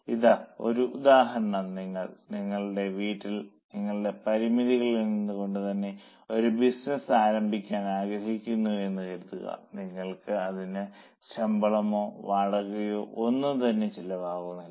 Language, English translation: Malayalam, Now here is an example that suppose you want to start a business and if you go for doing it from your own premises, from your own house maybe, you are not paying any salary now, sorry, you are not paying any rent now